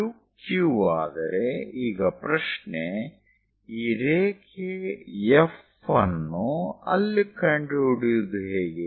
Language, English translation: Kannada, Now the question is, how to find this line F somewhere there